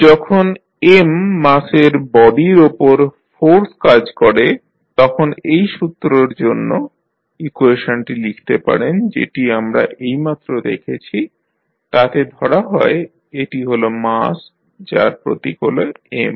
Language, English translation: Bengali, Now, when the force is acting on the body with mass M the equation which you can write for the law which we just saw is supposed this is the mass of symbol M